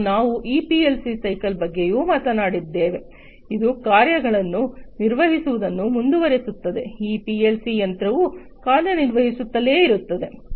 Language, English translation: Kannada, And we also talked about this PLC cycle, which continues to operate the tasks are continuously done in the cycle as these PLC machine keeps on operating, until the machine keeps on operating